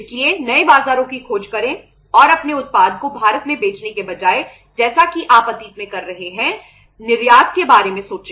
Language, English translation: Hindi, So search for the new markets and think of exporting your product rather than selling it in India as you have been doing it in the past